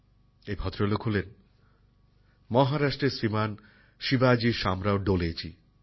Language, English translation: Bengali, This is a gentleman, Shriman Shivaji Shamrao Dole from Maharashtra